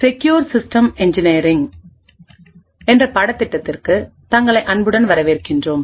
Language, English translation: Tamil, in the course in Secure System Engineering